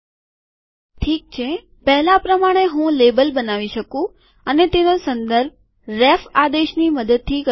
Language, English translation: Gujarati, Okay, as before I can create a label and refer to it using the ref command